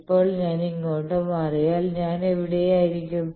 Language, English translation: Malayalam, Now, if I move here then I will be where